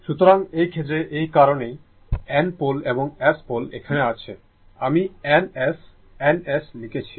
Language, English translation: Bengali, So, in this case, in this case that is why it is N pole and S pole that that here I have written N S, N S, right